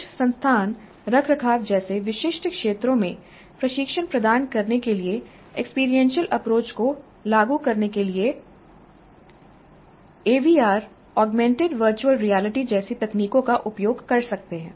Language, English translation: Hindi, And some institutes are using technologies like even AVR augmented virtual reality to implement experiential approach to provide training in specific areas like maintenance